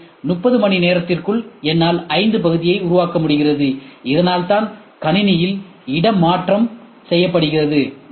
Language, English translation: Tamil, So, by 30 hours I am able to make 5, so that is what is saying repositioning on the machine